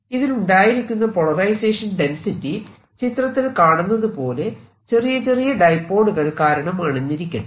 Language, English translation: Malayalam, now what we have seen is that the polarization density arises from small point dipoles like this